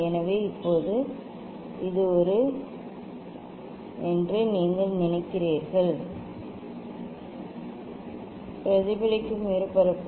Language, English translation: Tamil, So now, you just think that this is a reflecting surface